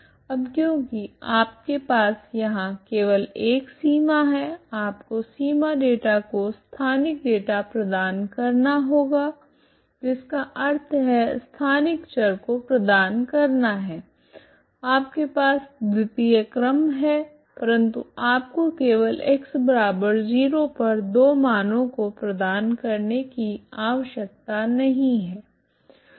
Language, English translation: Hindi, Now for the because you have the boundary here ok you have only one boundary, boundary data you have to provide special data means spatial variable you have to provide you don t have to provide just because you have two second order you need not provide two values at X equal to zero ok